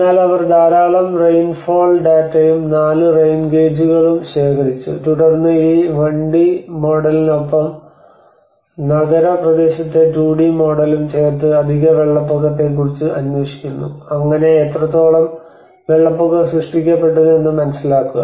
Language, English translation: Malayalam, But they also collected lot of rainfall data and 4 rain gauges and then this 1D model is coupled with a 2D model of the urban area to investigate the propagation of excess flood offered that is where how much an inundation is created